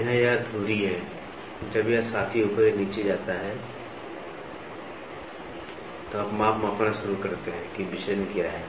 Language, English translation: Hindi, So, this is pivoted here, when this fellow moves up or down, so you can start measuring what is a deviation